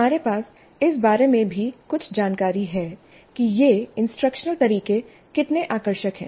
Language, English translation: Hindi, We also have some information regarding how engaging these instructional methods are